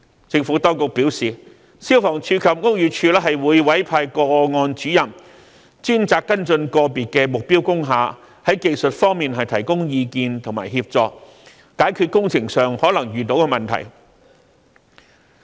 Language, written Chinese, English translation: Cantonese, 政府當局表示，消防處及屋宇署會委派個案主任專責跟進個別目標工廈，在技術方面提供意見和協助，解決工程上可能遇到的問題。, The Administration has advised that FSD and BD would assign case officers to follow up on cases of individual target industrial buildings and provide technical advice and assistance in solving potential problems concerning the works